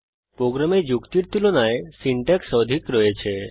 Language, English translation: Bengali, There is more syntax than logic in our program